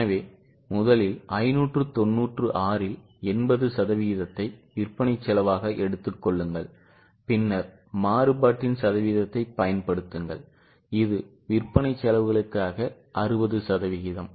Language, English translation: Tamil, So, first take 80% of 596 as the selling cost and then on that apply the percentage of variability which is 60% for selling expenses